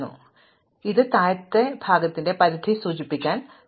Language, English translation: Malayalam, So, this is going to indicate the limit of the lower part